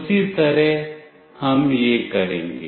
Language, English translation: Hindi, The same way we will be doing that